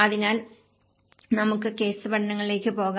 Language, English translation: Malayalam, So, letís go to the case studies